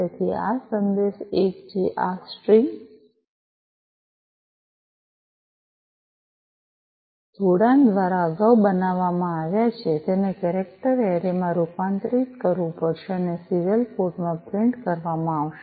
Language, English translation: Gujarati, So, this message one, which has been built earlier through this string concatenation, it will have to be converted to a character array and is printed in the serial port